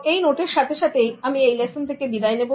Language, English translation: Bengali, With this note, I take leave from you for this lesson